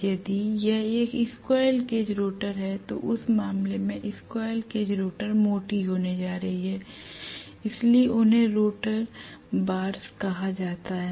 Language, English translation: Hindi, If it is a squirrel cage rotor, squirrel cage rotor in that case these conductors are going to be thick, so they are actually called as rotor bars